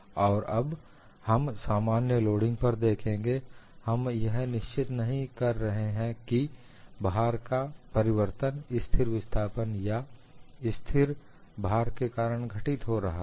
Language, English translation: Hindi, And now, we will look at for a general loading, we are not fixing whether the load change is happening in a constant displacement or constant load